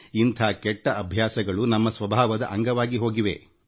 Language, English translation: Kannada, These bad habits have become a part of our nature